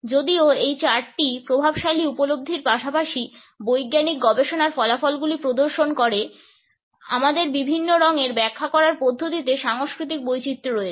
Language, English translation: Bengali, Even though this chart displays the dominant perceptions as well as findings of scientific researches, there are cultural variations in the way we interpret different colors